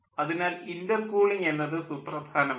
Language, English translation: Malayalam, so intercooling is important then